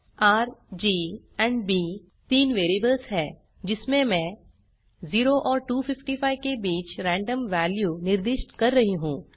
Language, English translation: Hindi, $R, $G, and $B are three variables to which I am assigning random values between 0 and 255